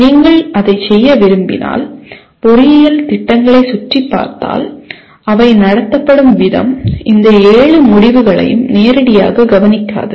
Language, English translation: Tamil, If you want to do that because if you look around the engineering programs the way they are conducted these seven outcomes are hardly addressed directly